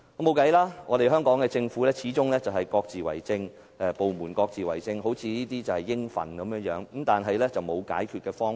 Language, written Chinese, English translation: Cantonese, 畢竟，香港的政府部門都是各自為政的，還好像很理所當然，只是至今仍然沒有解決方法。, After all various departments of the SAR Government only mind their own business and take this for granted . So far no solution has been identified